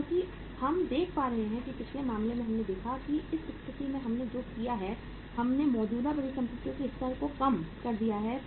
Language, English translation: Hindi, Because we are seeing that in the previous case we have seen that in this situation what we have done is we have reduced the level of current assets